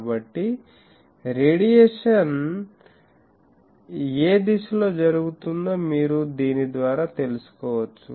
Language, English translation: Telugu, So, by that you can find out in which direction radiation is taking place